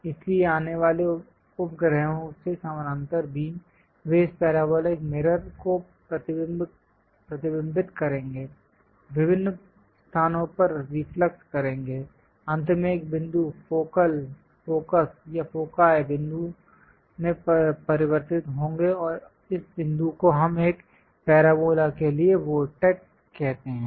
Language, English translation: Hindi, So, the parallel beams from satellites coming, they will reflect touch this parabolic mirror, reflux at different locations; from there finally, converged to a point focal, focus or foci point and this point what we call vortex for a parabola